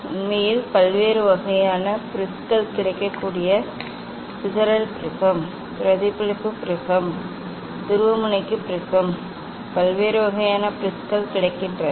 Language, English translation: Tamil, actually, various kinds of prisms are available dispersive prism, reflective prism, polarizing prism; different kinds of prisms are available